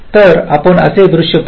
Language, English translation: Marathi, so let us look at a scenario like this